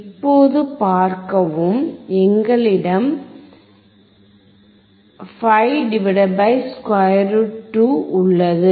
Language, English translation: Tamil, see so now, we have 5 / √ 2